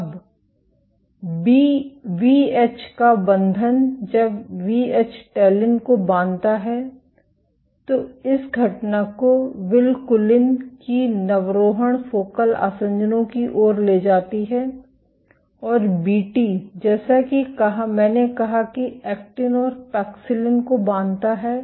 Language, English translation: Hindi, Now, binding of Vh, When Vh binds to talin this event leads to recruitment of vinculin to focal adhesions and Vt as I said binds to actin and paxillin